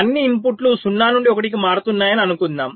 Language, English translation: Telugu, lets say the inputs are changing all of them from zero to one